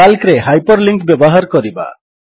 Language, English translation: Odia, How to use hyperlinks in Calc